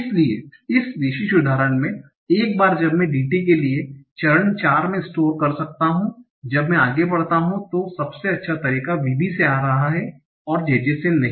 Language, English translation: Hindi, So in this particular example, once I can store at step 4 for DT the best way is coming from VB and not from JJ